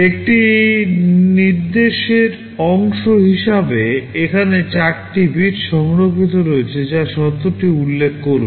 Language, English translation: Bengali, As part of an instruction there are 4 bits reserved that will be specifying the condition